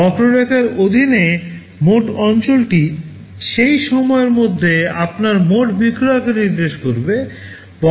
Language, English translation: Bengali, The total area under the curve will indicate your total sales over that period of time